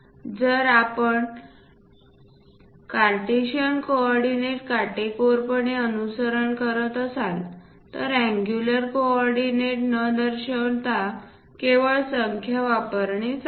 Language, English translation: Marathi, If we are strictly following Cartesian coordinates, it's better to use just numbers without showing any angular coordinate